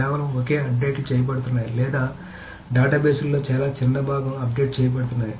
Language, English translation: Telugu, So just single updates are being done or some small part of very very small part of the database is updated